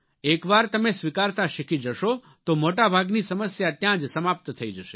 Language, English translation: Gujarati, Once you learn to accept, maximum number of problems will be solved there and then